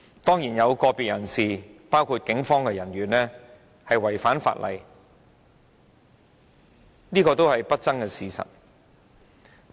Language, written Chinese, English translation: Cantonese, 當然，有個別人士包括警方人員違反法例，是不爭的事實。, Of course it is an undisputable fact that some individuals including police officers had breached the law